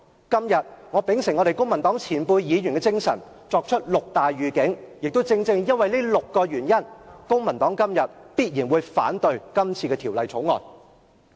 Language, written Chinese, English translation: Cantonese, 今天我秉承公民黨前輩議員的精神，作出六大預警，亦正正因為這6個原因，公民黨今天必然會反對《條例草案》。, Today in the tradition of the veteran Civic Party lawmakers I will give six heads - up . And the Civic Party will surely vote against the Bill because of them